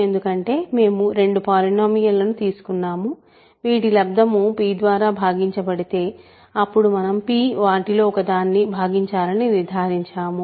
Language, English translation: Telugu, Because we have taken two polynomials whose product is divisible by p and we concluded that p must divide one of them